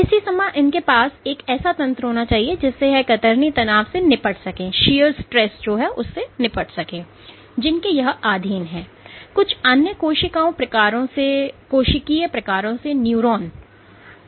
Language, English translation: Hindi, At the same time they must have a mechanism whereby they can deal with the high shear stresses they are subjected to